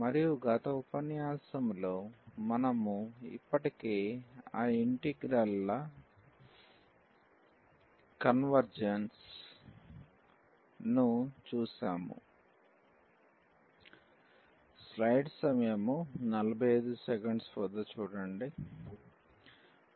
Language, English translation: Telugu, And, in the last lecture we have already seen the convergence of those integrals